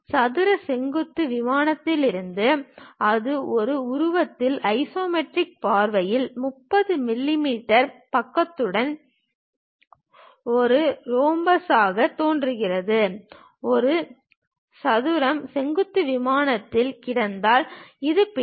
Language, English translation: Tamil, If the square lies in the vertical plane, it will appear as a rhombus with 30 mm side in the isometric view in figure a; it looks likes this, if this square is lying on the vertical plane